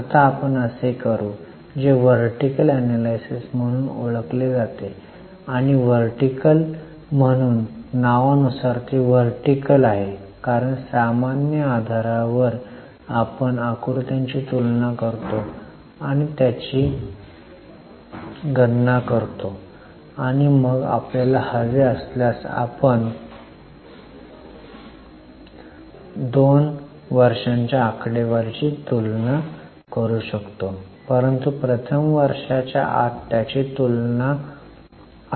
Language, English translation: Marathi, And for vertical as the name suggests it is vertical because to a common base we compare and calculate the figures and then if we want we can compare the two years figures but first we will compare it within the year